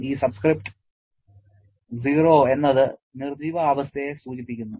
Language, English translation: Malayalam, This subscript 0 refers to the dead state